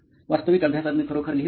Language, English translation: Marathi, Actually in studying I do not really write, I do not